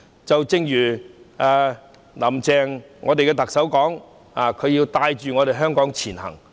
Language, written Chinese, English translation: Cantonese, 正如特首"林鄭"所說，她要帶領香港前行。, As Chief Executive Carrie LAM said she has to lead Hong Kong to strive forward